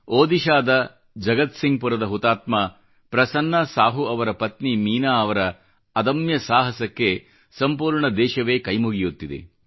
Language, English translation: Kannada, The country salutes the indomitable courage of Meenaji, wife of Martyr PrasannaSahu of Jagatsinghpur, Odisha